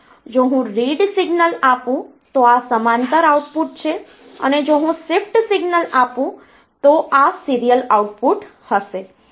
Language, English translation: Gujarati, If I give the read signal so this is the parallel output and if I give a shift signal, then this will be the serial output